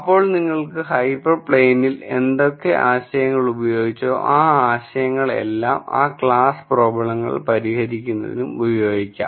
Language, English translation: Malayalam, Then you could use whatever we use in terms of hyper planes, those ideas, for solving those class of problems